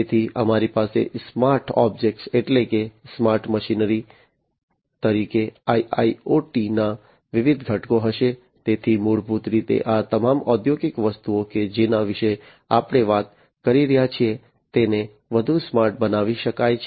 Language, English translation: Gujarati, So, we will have the different components of IIoT as the smart objects that means, the smart machinery smart, you know, so basically all these industrial objects that we are talking about can be made smarter, so smart objects